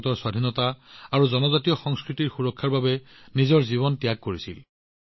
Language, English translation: Assamese, He had sacrificed his life to protect India's independence and tribal culture